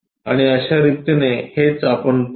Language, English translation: Marathi, And these this is the way we will see